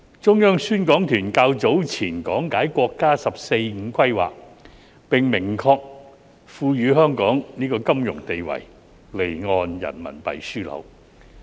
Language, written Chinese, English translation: Cantonese, 中央宣講團較早前講解國家"十四五"規劃，並明確賦予香港金融定位——離岸人民幣樞紐。, Earlier on the Publicity Delegation of the Central Authorities has expounded on the National 14th Five - Year Plan establishing a clear financial positioning for Hong Kong an offshore RMB hub